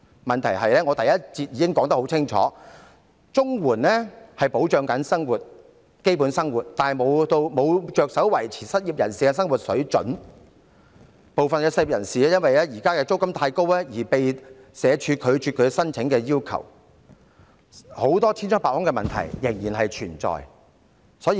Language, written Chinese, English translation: Cantonese, 問題是，我在第一環節發言時已指出，綜援旨在保障基本生活，並無着手維持失業人士的生活水準，部分失業人士因為現時的租金太高，遭社署拒絕其申請，千瘡百孔的問題仍然存在。, The problem is as pointed out in my speech in the first session CSSA seeks to meet the basic needs in living . It has nothing to do with maintaining the living standard of the unemployed . The applications of some unemployed people have been rejected by SWD because the rent currently paid by them is too high